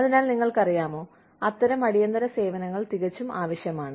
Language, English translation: Malayalam, So, you know, those kinds of emergency services are absolutely required